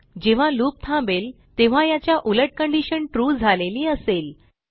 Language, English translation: Marathi, So when the loop stops, the reverse of this condition will be true